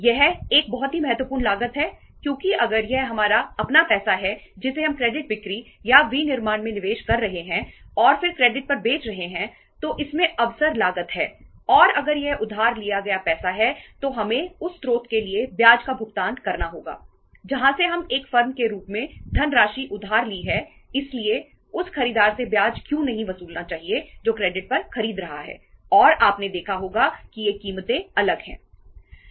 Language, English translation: Hindi, It is a very very important cost because if it is our own money we are investing into the credit sales or manufacturing and then selling on credit it has the opportunity cost and if it is borrowed money we have to pay the interest to the source from where we have borrowed the funds as a firm so why not to recover that interest from the buyer who is buying on credit and you might have seen that these prices are different